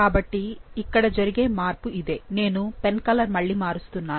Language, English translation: Telugu, So, this is the change, let me change the colour again